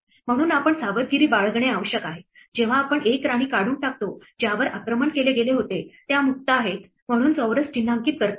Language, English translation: Marathi, So, we need to be careful, when we remove a queen in order to mark squares which were attacked as being free